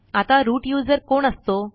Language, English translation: Marathi, Now who is a root user